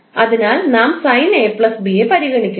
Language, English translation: Malayalam, First one is sine A plus B